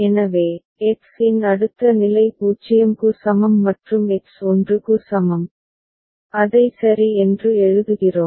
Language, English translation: Tamil, So, next state for X is equal to 0 and X is equal to 1, we write it down ok